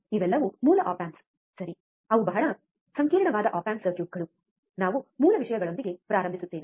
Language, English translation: Kannada, These are all basic op amps ok, they are very complex op amp circuits, we start with the basic things